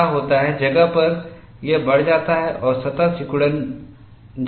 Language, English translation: Hindi, What happens is the inner places, it increases and the surface shrinks